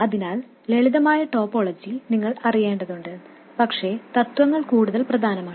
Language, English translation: Malayalam, So you need to know the simple topologies but the principles are more important